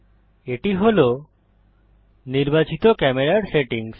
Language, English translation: Bengali, These are the settings for the selected camera